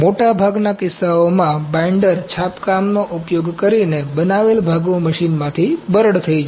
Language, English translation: Gujarati, In most cases parts made using binder printing are brittle out of the machine